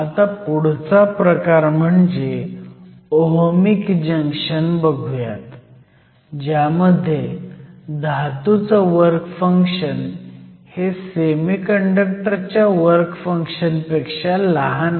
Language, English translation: Marathi, So, let us next consider the Ohmic Junction, where the work function of the metal is smaller than the work function of the semiconductor